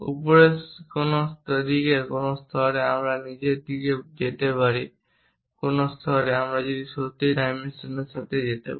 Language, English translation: Bengali, On upper side up to which level I can really go on the lower side up to which level I can really go with that dimension, is it 24